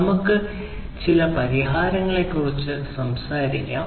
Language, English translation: Malayalam, So, let us talk about some of the solutions